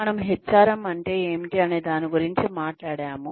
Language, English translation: Telugu, We have talked about, what HRM is